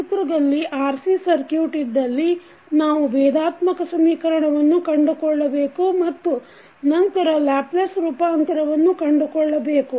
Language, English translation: Kannada, Now, let us take quickly the example, that if you have the RC circuit in the figure, we need to find out the differential equation and then the Laplace Transform of the system